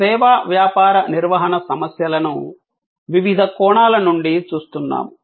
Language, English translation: Telugu, We are looking at the service business management issues from various perspectives